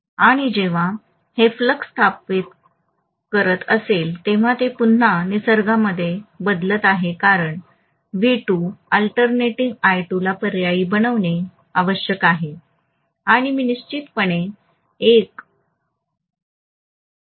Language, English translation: Marathi, And when it is establishing a flux, it is again alternating in nature because V2 was alternating I2 has to be alternating and I will have definitely an alternating flux established